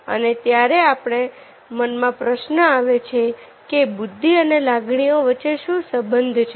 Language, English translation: Gujarati, then the question was to coming to our mind: what is the relationship between intelligence and emotion